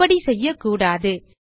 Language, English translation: Tamil, You shouldnt do so